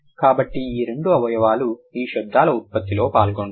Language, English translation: Telugu, So, these two organs are going to participate in the production of these sounds